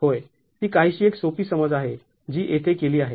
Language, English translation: Marathi, Yes and it's a rather simplified assumption that is done here